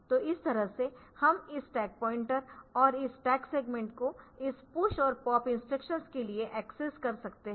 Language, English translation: Hindi, So, this way we can have this stack pointer and this stack segment accessing they are being accessed for this push and pop instructions and the base pointer